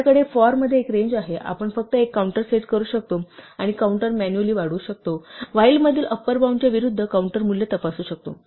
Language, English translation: Marathi, We have a range in the 'for', we can just setup a counter and manually increment the counter and check the counter value against the upper bound in the while